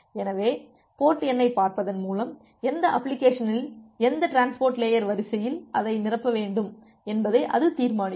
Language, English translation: Tamil, So, by looking into the port number, it will decide that in which application which transport layer queue it should fill it